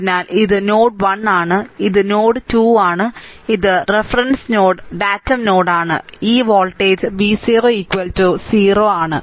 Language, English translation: Malayalam, So, v 1 minus v 2, similarly this is your datum node O, this reference voltage is 0, right